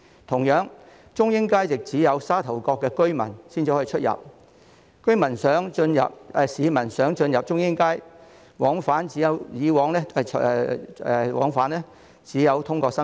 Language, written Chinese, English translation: Cantonese, 同樣，中英街亦只有沙頭角居民才能進出；市民想進入中英街，往返只能通過深圳。, Similarly access to Chung Ying Street is granted only to residents of Sha Tau Kok . If other members of the public wish to enter Chung Ying Street they must access via Shenzhen